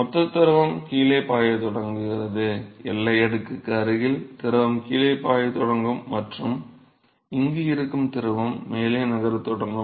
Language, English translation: Tamil, So, the bulk fluid is start flowing down, the fluid which is present close to the boundary layer will start flowing down and the fluid which is present here, will start moving up